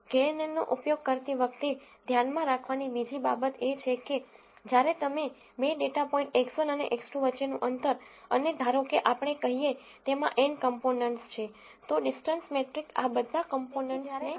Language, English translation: Gujarati, The other thing to keep in mind when using kNN is that, when you do a distance between two data points X 1 and X 2 let us say, and let us say there are n components in this, the distance metric will take all of these components into picture